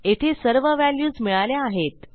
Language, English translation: Marathi, So we have got all our values here